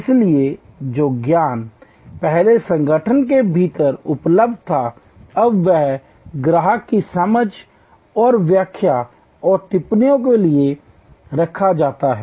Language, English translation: Hindi, So, knowledge that was earlier only available within the organization is now often put out for understanding and interpretation and comments from the customer